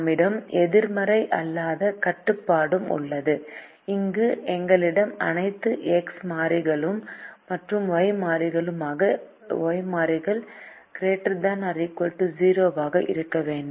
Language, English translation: Tamil, we also have the non negativity restriction, where we have all the x variables and the y variables to be greater than or equal to zero